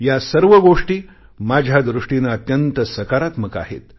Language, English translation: Marathi, According to me all of these things are extremely positive steps